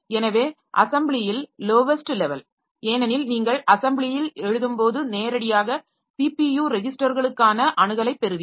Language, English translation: Tamil, So, the lowest level in assembly because when you are writing in the assembly, so you get the access to the registers, CPU registers directly